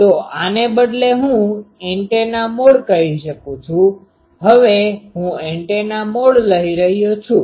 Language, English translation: Gujarati, So, instead of these, I can antenna mode, I am now taking antenna mode